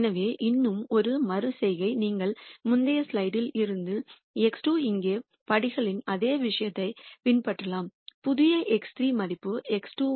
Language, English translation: Tamil, So, one more iteration you can simply follow through the steps same thing here x 2 from the previous slide the new X 3 value which is X 2 minus alpha